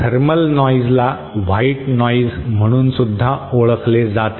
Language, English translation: Marathi, Thermal noise is also known by the term known as white noise